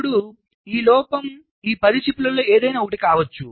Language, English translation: Telugu, now, this fault can be in any one of these ten chips, right